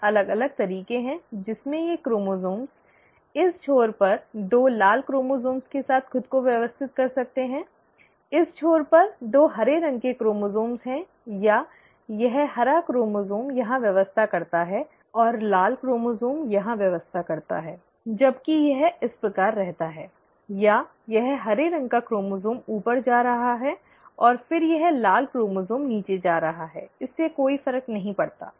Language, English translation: Hindi, There are four different ways in which these chromosomes can arrange themselves with two red chromosomes on this end, two green chromosomes on this end, or, this green chromosome arranges here, and the red chromosome arranges here, while this remains this way, or, it is this green chromosome going up, and then this red chromosome going down, it does not matter